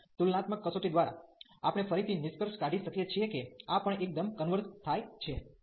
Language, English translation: Gujarati, And by the comparison test, we can again conclude that this also converges absolutely